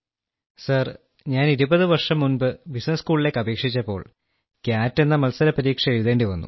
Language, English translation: Malayalam, Sir, when I was applying for business school twenty years ago, it used to have a competitive exam called CAT